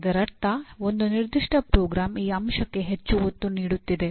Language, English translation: Kannada, A particular program that means is emphasizing more on this aspect